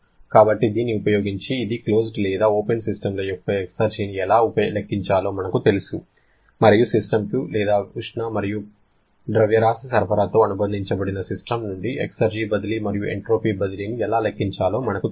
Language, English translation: Telugu, So, using this now we know how to calculate the exergy of a system closed or open and also we know how to calculate the exergy transfer and entropy transfer to a system or from a system associated with heat, work and mass transfer